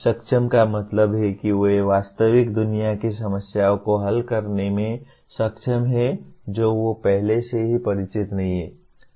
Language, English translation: Hindi, Capable means they are capable of solving real world problems that they are not already familiar with